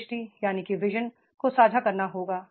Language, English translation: Hindi, The vision has to be shared